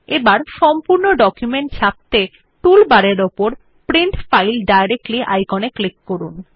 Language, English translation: Bengali, Now, to directly print the entire document, click on the Print File Directly icon in the tool bar